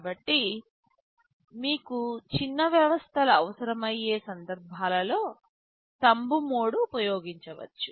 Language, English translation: Telugu, So, Thumb mode is used for such cases where you need small systems